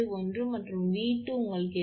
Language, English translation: Tamil, 71, and V 2 you got 8